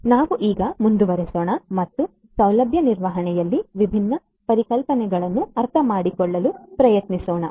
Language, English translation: Kannada, So, let us now go forward and try to understand the different concepts in facility management